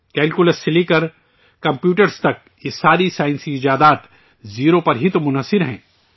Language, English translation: Urdu, From Calculus to Computers all these scientific inventions are based on Zero